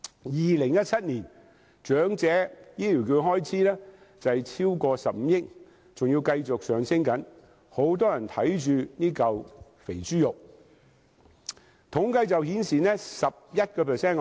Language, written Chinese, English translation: Cantonese, 2017年，長者醫療券開支超過15億元，而且繼續上升，很多人對這塊"肥豬肉"虎視眈眈。, In 2017 the expenditure for Elderly Health Care Voucher Scheme had exceeded 1.5 billion and it keeps on growing . Many people are eyeing on the much - coveted business